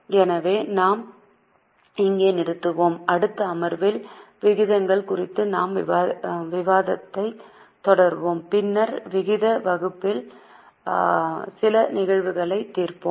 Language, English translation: Tamil, Okay, so we will here in the next session we will continue our discussion on ratios and then we will go for solving certain cases on ratio analysis